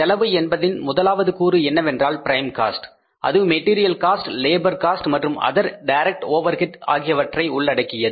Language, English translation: Tamil, First component of the cost is the prime cost which includes the material cost, labour cost and the other direct overheads